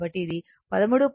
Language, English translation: Telugu, So, that is 13